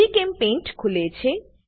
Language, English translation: Gujarati, GChemPaint application opens